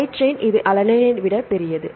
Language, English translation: Tamil, Side chain this is bulkier than alanine